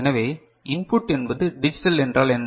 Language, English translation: Tamil, So, input is digital means what